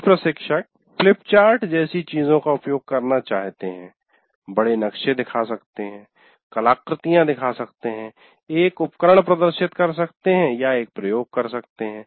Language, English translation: Hindi, And some instructors may wish to use big things like flip chart, show large maps, show artifacts, demonstrate a device, or conduct an experiment